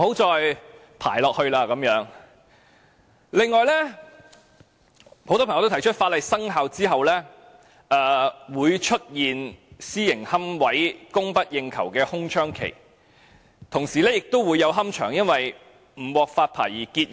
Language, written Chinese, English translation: Cantonese, 此外，很多朋友提出在法例生效後，會出現私營龕位供不應求的空窗期，同時亦會有龕場因為不獲發牌而結業。, Furthermore many people have pointed out that after the commencement of the legislation there may be a vacuum period during which there will be a shortage of supply of private niches and at the same time some columbaria will cease operation for their licence applications were rejected